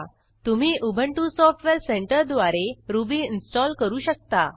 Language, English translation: Marathi, You can install Ruby using the Ubuntu Software Centre